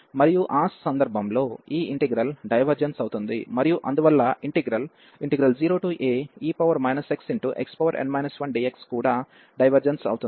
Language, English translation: Telugu, And in that case this integral will diverge, and therefore the integral 0 to a will also diverge